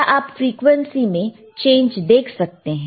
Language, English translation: Hindi, Now, you can you can change the frequency here